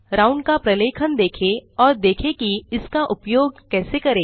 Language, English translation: Hindi, Look up the documentation of round and see how to use it